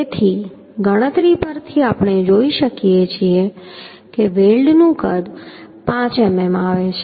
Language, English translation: Gujarati, So from the calculation we can see the size of the weld is coming 5mm